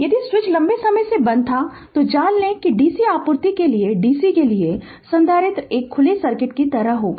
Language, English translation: Hindi, If switch was closed for long time you know that for the DC for the DC supply, the capacitor will be a like an open circuit right